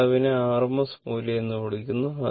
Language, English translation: Malayalam, It will measure this called rms value